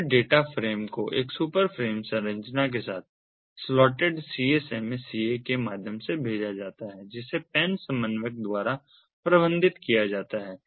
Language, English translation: Hindi, then the data frame are sent via slotted csma ca with a super frame structure that is managed by the pan coordinator